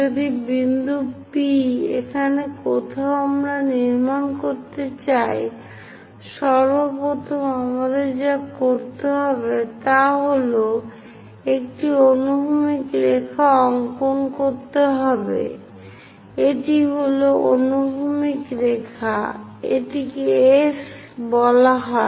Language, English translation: Bengali, If some point P, somewhere here we would like to construct; first of all what we have to do is draw a horizontal line, this is the horizontal line, this is let us call S dash